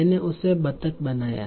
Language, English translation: Hindi, I made her duck